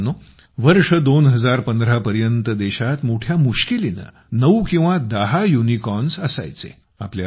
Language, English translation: Marathi, till the year 2015, there used to be hardly nine or ten Unicorns in the country